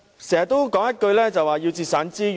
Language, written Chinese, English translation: Cantonese, 政府經常說要節省資源。, The Government keeps talking about the need to save resources